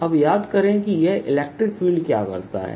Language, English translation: Hindi, and now recall what this electric field does